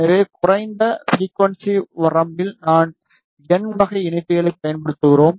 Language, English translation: Tamil, So, that in lower frequency range we use n type of connectors